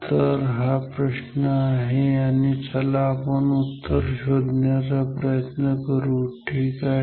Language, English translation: Marathi, So, this is the question and let us find out the answer ok